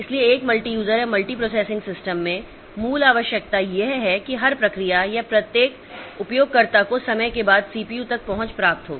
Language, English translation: Hindi, So, in a multi user or multi processing system, the basic requirement is that every process or every user should get the access to the CPU after some time